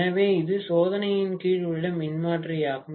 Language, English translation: Tamil, So, this is the transformer under test